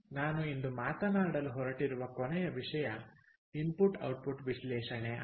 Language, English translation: Kannada, the last one that i am going to talk about today is something called input output analysis